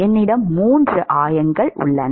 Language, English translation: Tamil, I have 3 coordinates